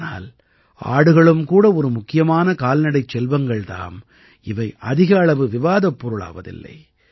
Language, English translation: Tamil, But the goat is also an important animal, which is not discussed much